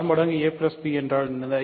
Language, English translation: Tamil, What is r times a plus b